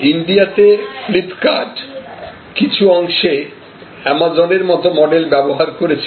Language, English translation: Bengali, Flip kart in India, which is to an extent using the model created by companies like Amazon